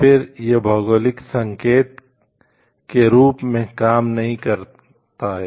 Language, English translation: Hindi, Then it is no longer function as a geographical indicator